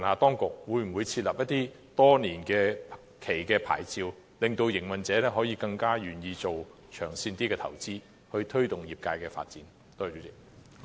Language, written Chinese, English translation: Cantonese, 當局可否發出多年期的牌照，令營運者更願意作長線投資，推動業界發展？, Can the authorities issue multiple - year licence so that operators will be more willing to make long - term investments to promote the development of the industry?